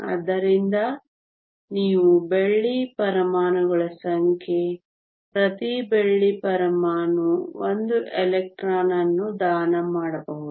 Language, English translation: Kannada, So, these are the number of silver atoms each silver atom can donate 1 electron